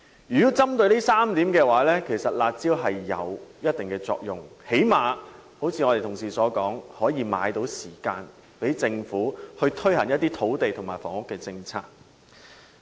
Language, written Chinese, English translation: Cantonese, 如果針對這3點，"辣招"有一定的作用，最低限度可如同事所說，買到時間讓政府推行一些土地和房屋政策。, Judging from these three points the curb measures did achieve certain effects for they have at least as pointed out by colleagues bought some time for the Government to introduce land and housing policies